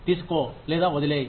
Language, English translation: Telugu, Take it, or leave it